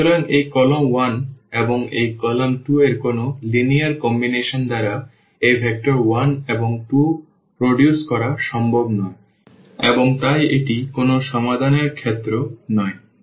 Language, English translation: Bengali, So, it is not possible to produce this vector 1 and 2 by any linear combination of this column 1 and this column 2 and hence, this is the case of no solution